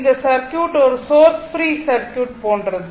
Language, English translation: Tamil, This this circuit is something like a source free circuit, right